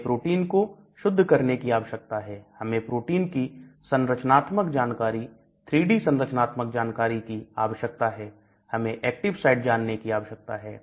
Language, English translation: Hindi, So, I need to purify the protein, I need to get the structural details, 3D structure details of the protein, I need to get the active side detail